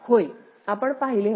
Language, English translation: Marathi, Yes, we had seen